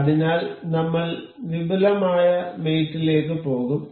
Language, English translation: Malayalam, So, we will go to advanced mate